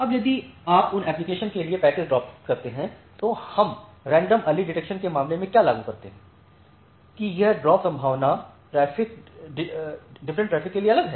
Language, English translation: Hindi, Now, if you drop the packets for those applications, so what we apply in case of random early detection: that this drop probability it is different for different traffic